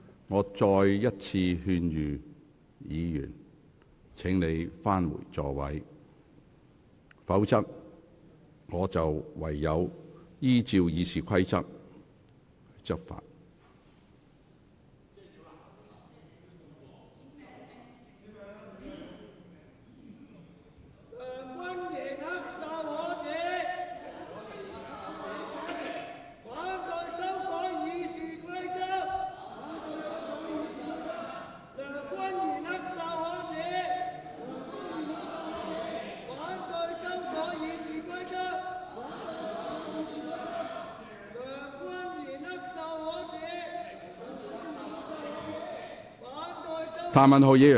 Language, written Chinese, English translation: Cantonese, 我再次勸諭議員返回座位，否則我唯有執行《議事規則》。, I once again advise Members to return to their seats or else I will have to enforce RoP